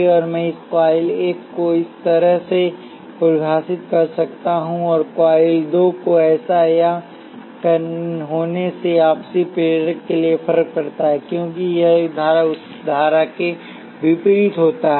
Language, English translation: Hindi, Now I could define coil 1 to be like this and coil 2 to be like this or like that; that makes difference for the mutual inductance because this current is opposite of that current